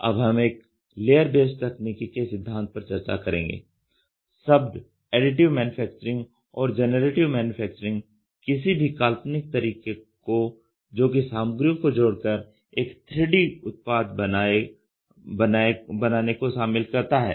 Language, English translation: Hindi, The principles of layered based technology; the term Additive Manufacturing like generative manufacturing covers any imaginable way of adding materials in order to create a 3 dimensional physical part